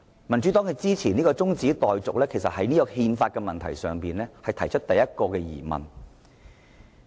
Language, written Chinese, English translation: Cantonese, 民主黨支持這項中止待續議案，其實就憲法的問題提出了第一個疑問。, The Democratic Partys support of this adjournment motion has actually cast the first doubt on constitutionality